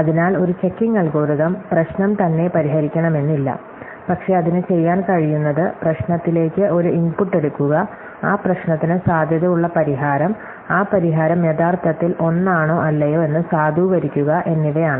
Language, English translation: Malayalam, So, a checking algorithm does not necessarily solve the problem itself, but what it can do is take an input to the problem, a potential solution to that problem, and validate whether or not that solution is indeed one